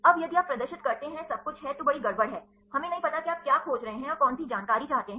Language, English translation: Hindi, Now, if you display everything there is a big mess, we do not know what you are searching for and which information do you want